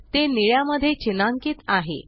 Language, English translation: Marathi, It is highlighted in blue